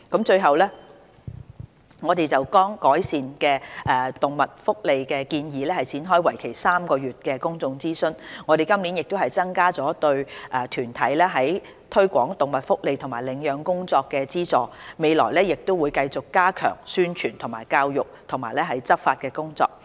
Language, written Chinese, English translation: Cantonese, 最後，我們剛就改善動物福利的建議展開為期3個月的公眾諮詢，我們今年亦增加了對團體在推廣動物福利和領養工作的資助，未來亦會繼續加強宣傳教育及執法的工作。, Lastly we have just kick - started a three - month public consultation exercise on the proposals to enhance animal welfare . We have also increased in this year the subvention for relevant organizations to promote animal welfare and adoption . We will also continue to step up our publicity education and enforcement efforts in the future